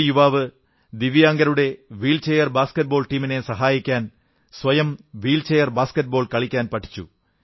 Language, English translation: Malayalam, One young person learned to play wheelchair basket ball in order to be able to help the wheelchair basket ball team of differently abled, divyang players